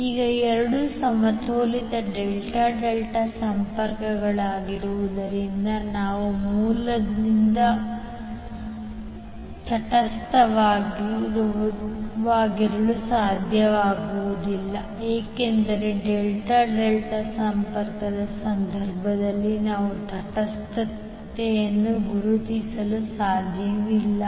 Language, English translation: Kannada, Now since both are balanced delta delta connections we will not be able to put neutral from source to load because we cannot identify neutral in case of delta delta connection